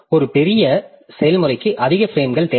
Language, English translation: Tamil, So, does a large process, does a large process need more frames